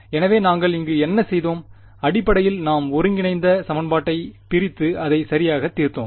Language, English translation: Tamil, So, what we did over here was, essentially we discretized the integral equation and solved it right